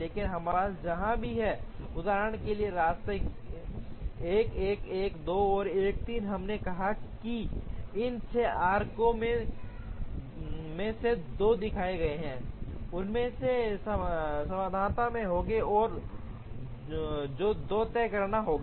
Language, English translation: Hindi, But, wherever we have these paths for example, 1 1, 1 2 and 1 3 we said that out of these 6 arcs that are shown 2 of them will be in the solution, and which 2 will have to be decided